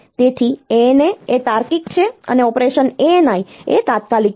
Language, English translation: Gujarati, So, ANA is the logical and operation ANI is and immediate